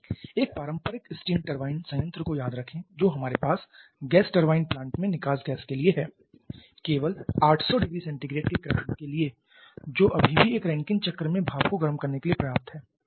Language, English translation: Hindi, Remember a conventional steam turbine plant the highest temperature that we have for the exhaust gas in a gas turbine plant maybe only of the order of 800 degree Celsius which is still sufficient to heat the steam in a Rankine cycle